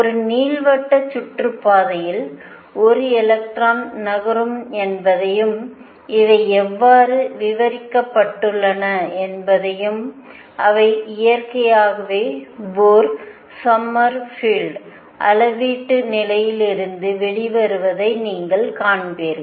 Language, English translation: Tamil, I can also have an electron moving in an elliptical orbit and how are these described and you will see that they come out naturally from Bohr Sommerfeld quantization condition